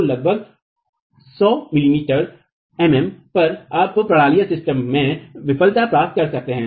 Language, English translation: Hindi, So, at about 100 m m you can get failure in the system